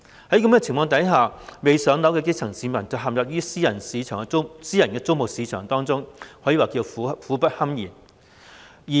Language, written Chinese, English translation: Cantonese, 在此情況下，未"上樓"的基層市民陷入私人租務市場當中，可謂苦不堪言。, Under such circumstances the grass roots not yet been allocated a PRH unit have to resort to the private rental market suffering a lot